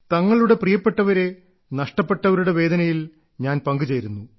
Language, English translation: Malayalam, My heart goes out to all the people who've lost their near and dear ones